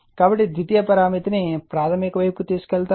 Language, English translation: Telugu, So, who will take the secondary parameter to the primary side